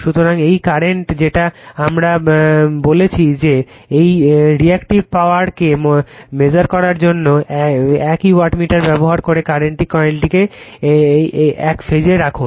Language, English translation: Bengali, So, this this current your what you call , this here to measure the reactive power using the same wattmeter you put the current coil in one phase